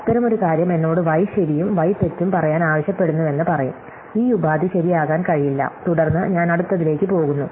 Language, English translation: Malayalam, So, therefore, such a thing will say I am being asked to set y true and y false, so this clause cannot be true, then I move to the next